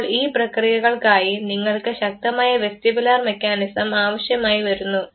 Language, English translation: Malayalam, Now these are the processes for which you require sound vestibular mechanism